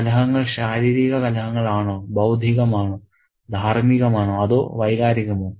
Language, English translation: Malayalam, Are the conflicts, physical conflicts, intellectual, moral or emotional